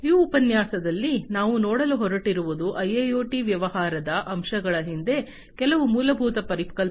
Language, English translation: Kannada, So, in this lecture, what we are going to go through are some of the fundamental concepts, behind the business aspects of IIoT